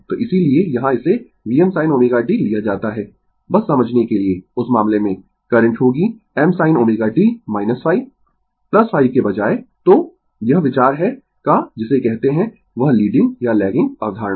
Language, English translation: Hindi, So, that is why here it is taken V m sin omega t, just for your understanding, in that case, current will be your I m sin omega t minus phi instated of plus phi, right So, this is the idea of your what you call that your leading or lagging concept